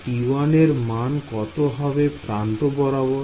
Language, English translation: Bengali, What about T 1 along the other edges